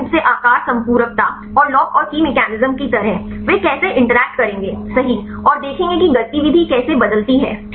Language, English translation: Hindi, Mainly the shape complementatirity and kind of the lock and key mechanism, how they will interact right and see how the activity changes fine